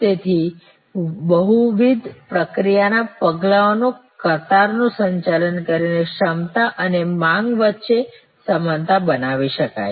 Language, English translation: Gujarati, So, that by managing queues by managing multiple process steps, where able to create a match between capacity and demand